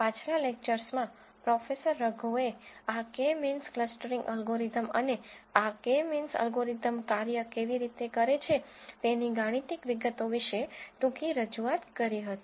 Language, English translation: Gujarati, In the previous lectures Professorago would have given a brief introduction about this K means clustering algorithm and the mathematical details of how this K means algorithm works